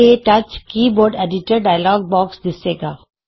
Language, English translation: Punjabi, The KTouch Keyboard Editor dialogue box appears